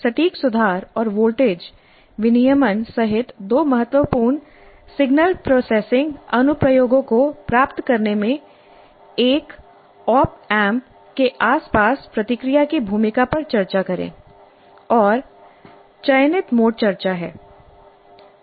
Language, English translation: Hindi, So, discuss the role of the feedback around an appamp in achieving two important signal processing applications including precision rectification and voltage regulation and the mode shall produce discussion